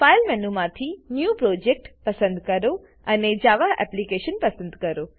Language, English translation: Gujarati, Fron the File menu choose New Project and choose a Java Application